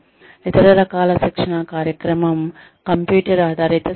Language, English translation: Telugu, The other type of training program is, computer based training